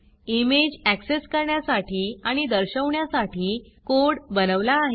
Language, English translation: Marathi, We have generated the code for accessing and displaying the image